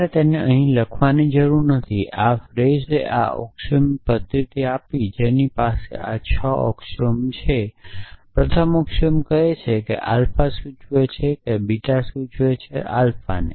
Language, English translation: Gujarati, Essentially, you do not have to write them here, so this Frege gave this axiomatic system which have this six axiom first axiom says alpha implies beta implies alpha second axiom says alpha implies beta implies gamma